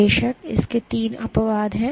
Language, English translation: Hindi, There are of course, three exceptions to this